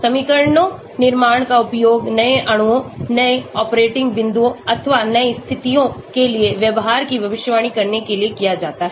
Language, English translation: Hindi, Building equations that can be used to predict behaviour for new molecules, new operating points or new conditions that is the advantage